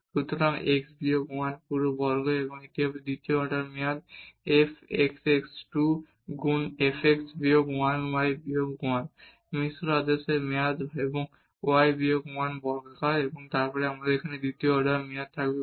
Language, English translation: Bengali, So, x minus 1 whole square and this will be the second order term f xx 2 times f x minus 1 y minus 1, the mixed order term and y minus 1 is square and then we will have here again the second order term with respect to y